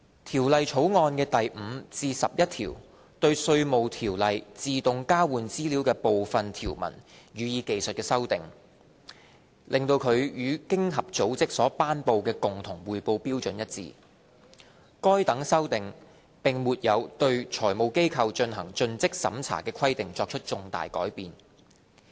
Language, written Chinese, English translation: Cantonese, 《條例草案》的第5至11條對《稅務條例》自動交換資料的部分條文予以技術修訂，令其與經濟合作與發展組織所頒布的共同匯報標準一致，該等修訂並沒有對財務機構進行盡職審查的規定作出重大改變。, Clauses 5 to 11 seek to make technical amendments on a number of AEOI provisions in Inland Revenue Ordinance IRO to align IRO with the Common Reporting Standard promulgated by the Organisation for Economic Co - operation and Development . These amendments do not make substantial changes to the due diligence requirements for FIs